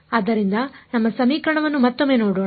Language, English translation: Kannada, So, let us just look at our equation once again